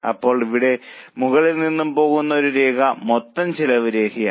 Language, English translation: Malayalam, Now, from here onwards a line which goes up is a total cost line